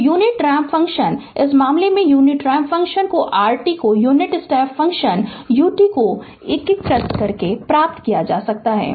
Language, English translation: Hindi, So, unit ramp function, in this case unit ramp function r t can be obtained by integrating the unit step function u t